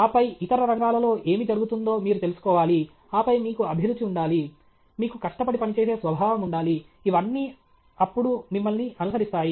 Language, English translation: Telugu, And then, you should know what is going on in other fields, and then, you should have passion, you should have hard work, all these things will follow now okay